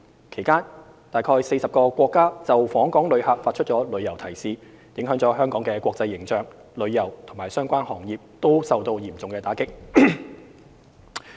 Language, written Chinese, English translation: Cantonese, 其間，約40個國家就訪港旅遊發出旅遊提示，影響了香港的國際形象，旅遊及相關行業均受到嚴重打擊。, Meanwhile around 40 countries have issued travel advisories on visiting Hong Kong which has affected Hong Kongs international image and severely hit the tourism and related industries